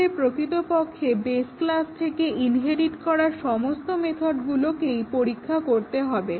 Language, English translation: Bengali, We have to test actually all those method which have been inherited from base class